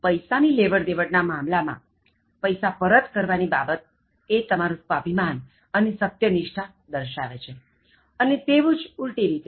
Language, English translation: Gujarati, In terms of borrowing, returning money: Returning money in time indicates your own self esteem and integrity and vice versa, the opposite